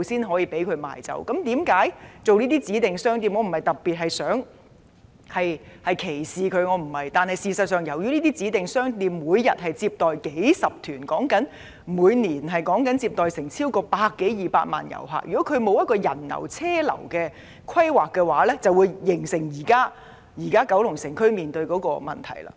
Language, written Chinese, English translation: Cantonese, 我並非歧視這些指定商店，但這些商店每天接待數十團旅客，即每年接待超過100多萬至200萬名旅客，如果沒有就人流車流作出規劃，便會造成現時九龍城區面對的問題。, However these shops receive dozens of tour groups every day ie . over 1 million to 2 million visitors a year . In the absence of any planning for managing pedestrian and traffic flows the problems currently facing the Kowloon City District have arisen